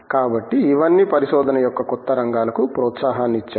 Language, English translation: Telugu, So, all these have given raise to new areas of research